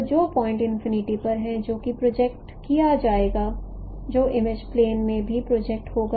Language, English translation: Hindi, So the point which is at infinity that would be projected, that would be also projected in the image plane